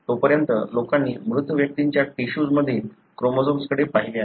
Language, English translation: Marathi, Until then people have looked at chromosomes in tissues of dead individuals